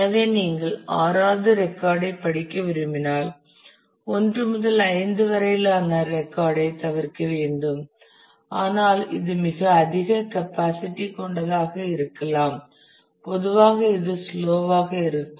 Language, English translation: Tamil, So, if you want to read the 6th record you have to skip of a record 1 to 5, but it can be a very high capacity usually it is slow